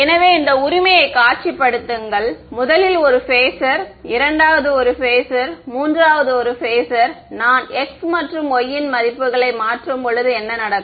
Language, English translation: Tamil, So, visualize this right the first is a phasor, second is a phasor, third is a phasor right, as I change the values of x and y what will happen